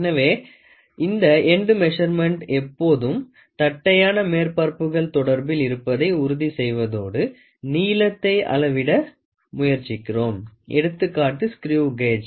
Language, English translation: Tamil, So, this end measurement is always to make sure that the flat surfaces are in contact and then we try to measure the length, example is screw gauge